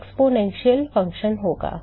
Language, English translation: Hindi, It will be exponential function right